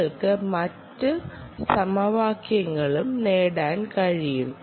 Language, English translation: Malayalam, ah, you can derive other equations also